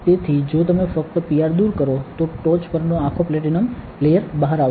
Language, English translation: Gujarati, So, if you just simply remove the PR, whole platinum layer on top of will come out